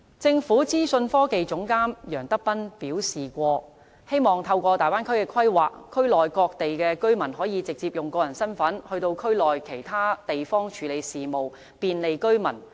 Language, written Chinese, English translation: Cantonese, 政府資訊科技總監楊德斌曾表示，希望透過大灣區的規劃，區內各地居民可以直接用個人身份到區內其他地方處理事務，便利居民。, Ir Allen YEUNG Government Chief Information Officer says that he hopes the planning of the Bay Area will enable people from different parts of the Bay Area to directly use their personal identification to handle their daily matters and bring convenience to the people